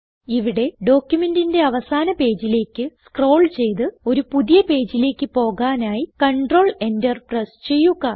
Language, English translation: Malayalam, Here let us scroll to the last page of the document and press Control Enter to go to a new page